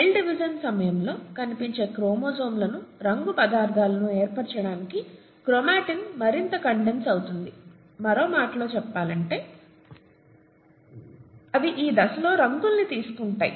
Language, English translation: Telugu, Chromatin condenses even further to form visible chromosomes, the coloured substances, during cell division, in other words they take up dyes during this stage and that’s why they are called chromosomes, coloured bodies